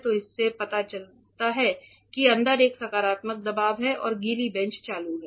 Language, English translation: Hindi, So, this shows that there is a positive pressure inside and the wet bench is operational